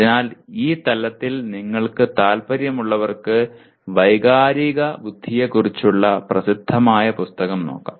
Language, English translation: Malayalam, So this is something those of you interested in this dimension you can look at the famous book on emotional intelligence